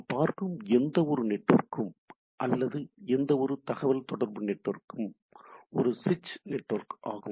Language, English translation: Tamil, So, what we see when we look at a any network or any communication network it is a switch network